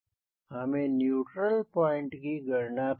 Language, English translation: Hindi, we have to calculate neutral point